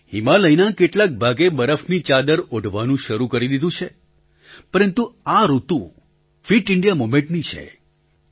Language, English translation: Gujarati, Parts of the Himalaya have begun to don sheets of snow, but this is the season of the 'fit India movement' too